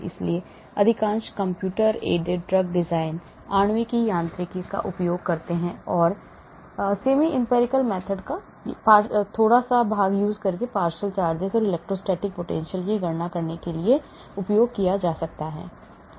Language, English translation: Hindi, so most of computer aided drug design uses molecular mechanics and little bit of semi empirical method also is used for calculating partial charges, electrostatic potential and so on actually